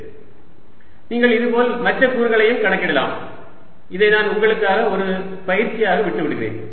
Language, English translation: Tamil, you can similarly calculate other components and i'll leave this as an exercise for you